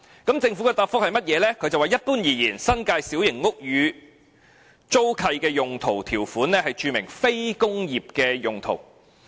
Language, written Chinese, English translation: Cantonese, 當局表示，一般而言，新界小型屋宇租契的用途條款註明"非工業"用途。, The authorities said that generally speaking the user clause of leases of New Territories small houses was for non - industrial purpose